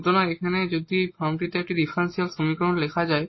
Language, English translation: Bengali, So, here if a differential equation can be written in this form